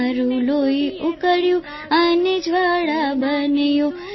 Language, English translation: Gujarati, Your blood ignited and fire sprang up